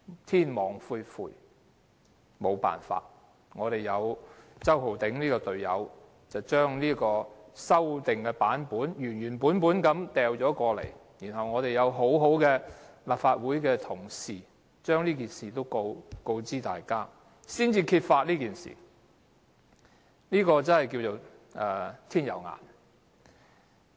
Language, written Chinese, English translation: Cantonese, 天網恢恢，沒有辦法，周浩鼎議員這名隊友將修訂版本原原本本交出來，幸好立法會同事亦把這事告知大家，因而揭發這事，可說是"天有眼"。, LEUNG Chun - yings teammate Holden CHOW submitted the original marked - up version of the document and fortunately staff members of the Legislative Council Secretariat told Members what happened and the matter was thus exposed . It can be said that there is divine justice after all